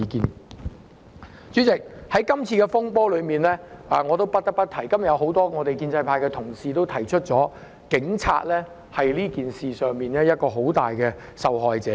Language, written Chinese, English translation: Cantonese, 代理主席，關於這次風波，我不得不提——很多建制派議員今天亦已指出——警察在這事件中是很大的受害者。, Deputy President about this turmoil I have to say―many Members of the pro - establishment camp have also pointed this out today―that the Police are seriously victimized in this incident